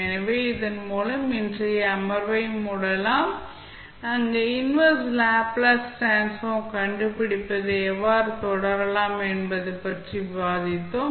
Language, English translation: Tamil, So, with this we can close our today's session, where we discuss about how to proceed with finding out the inverse Laplace transform